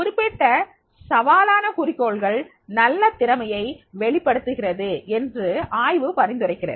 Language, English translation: Tamil, Research suggests that the specific challenging goals result in better performance